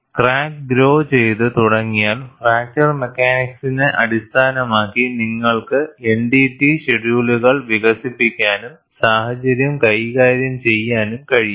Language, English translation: Malayalam, But once the crack starts growing, we could develop NDT shell schedules based on fracture mechanics and handle the situation